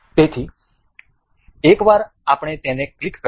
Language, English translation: Gujarati, So, once we clicks it up